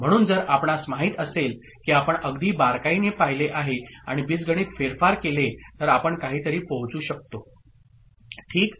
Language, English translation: Marathi, So, if we you know look very closely, and go through algebraic manipulation we can arrive at something ok